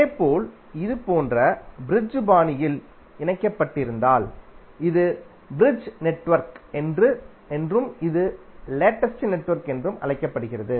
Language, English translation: Tamil, Similarly, if it is connected in bridge fashion like this, it is called bridge network and this is called the latest network